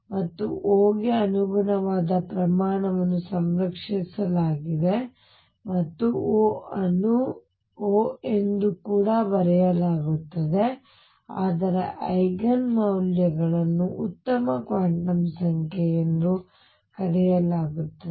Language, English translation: Kannada, And the quantity corresponding to O is conserved and O is also referred to as O is also referred to as not O, but it is Eigen values are referred to as good quantum number